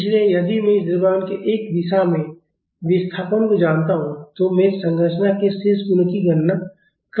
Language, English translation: Hindi, So, if I know the displacement of this mass in one direction, I can calculate the remaining properties of the structure